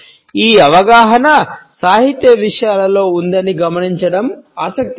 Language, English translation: Telugu, It is interesting to note that this awareness has existed in literary content